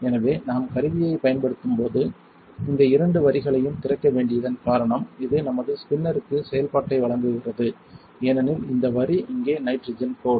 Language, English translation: Tamil, So, the reason why we have to both of these lines open when we use the tool is, because it provides functionality to our spinner this line here is a nitrogen line